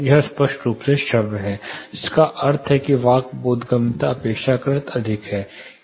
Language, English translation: Hindi, It is clearly audible which means speech intelligibility is relatively higher